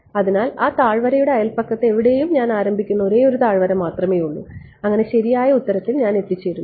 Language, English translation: Malayalam, So, there is only one valley I start anywhere in the neighbourhood of that valley I reach the correct answer very good